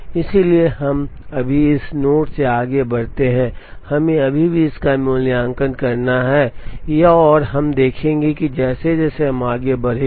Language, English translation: Hindi, So, we proceed from this node right now, we still have to evaluate this, this and this, we will see that as we move along